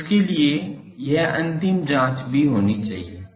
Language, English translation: Hindi, So, for that this final check also should be there